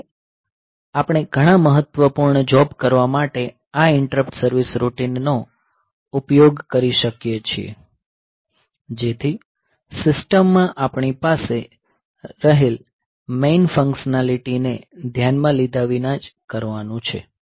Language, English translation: Gujarati, So, in this way we can use these interrupt service routines for doing many important jobs; so which are to be done irrespective of the main functionality that we have in the system